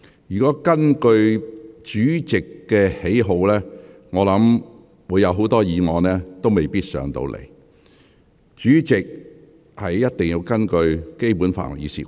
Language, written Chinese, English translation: Cantonese, 如果根據主席的喜好作決定，我想很多議案未必會獲准提交立法會。, If the President could make his decisions based on his personal likings then I am afraid many motions would probably be ruled inadmissible to the Legislative Council